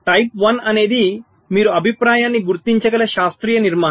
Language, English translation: Telugu, type one is the classical structure where you can identify the feedback